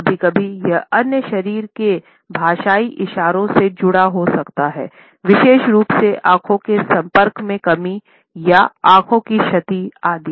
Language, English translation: Hindi, Sometimes, it can be associated with other body linguistic gestures, particularly the absence of eye contact or averted eyes, etcetera